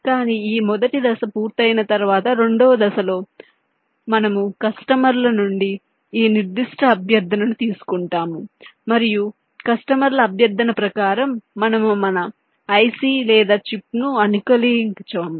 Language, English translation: Telugu, but once this first step is done, in this second step we take this specific request from the customers and we customize our ic or chip according to the request by the customers